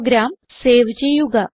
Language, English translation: Malayalam, Save the program